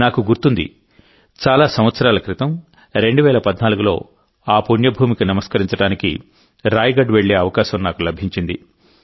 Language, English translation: Telugu, I remember, many years ago in 2014, I had the good fortune to go to Raigad and pay obeisance to that holy land